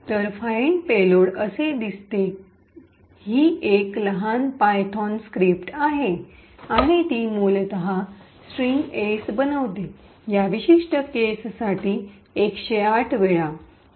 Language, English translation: Marathi, So, find payload looks like this, it is a small python script and it essentially creates a string S in this particular case a hundred and eight times